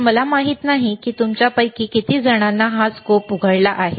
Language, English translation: Marathi, So, I do n ot know how many of you have opened doors in a a scope